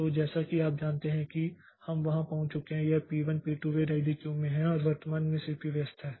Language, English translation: Hindi, So, as you know that we have got there so this p1, p2, p3 they are in the ready queue and at present the CPU was busy